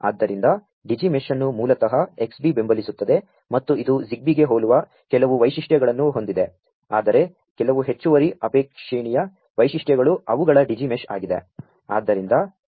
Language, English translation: Kannada, So, Digi mesh is basically supported by Xbee and it has certain features that are similar to ZigBee, but certain additional desirable features are also their Digi mesh